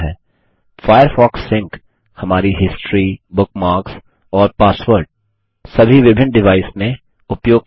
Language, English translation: Hindi, Firefox Sync lets us use our history, bookmarks and passwords across different devices